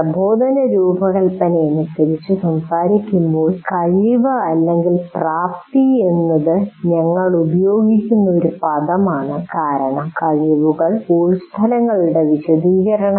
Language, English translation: Malayalam, Strictly speaking when we talk about instruction design, competency is the word that we will use because competencies are elaborations of course outcomes